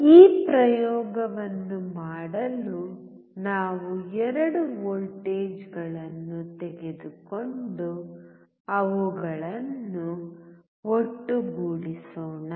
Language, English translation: Kannada, For performing this experiment let us take 2 voltages and sum it up